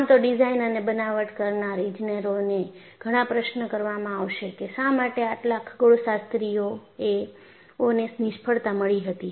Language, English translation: Gujarati, So, definitely, the engineers whodesigned and fabricated would be questioned why there had been suchastronomical number of failures